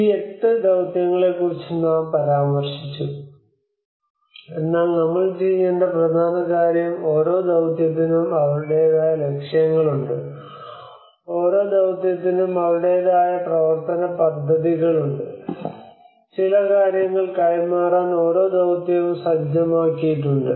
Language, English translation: Malayalam, We mentioned about these eight missions, but the important thing one we have to do is every mission is have their own objectives, every mission has their own action plans, every mission has set up to deliver certain things